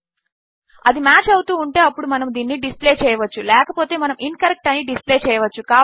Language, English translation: Telugu, If it is matching then we can display this otherwise we can display incorrect